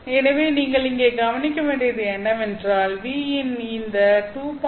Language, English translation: Tamil, But what you have to note here is that until this 2